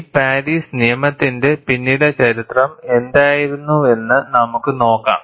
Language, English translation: Malayalam, And let us see, what was the history behind this Paris law